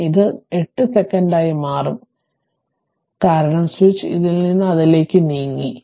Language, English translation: Malayalam, So, it it will become your 8 second right, this will be tau, because switch has moved from this to that